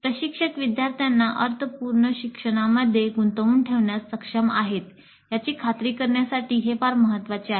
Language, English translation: Marathi, This is very important to ensure that the instructor is able to engage the students in meaningful learning